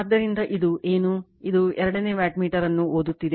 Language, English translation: Kannada, So, this is the reading of the second wattmeter right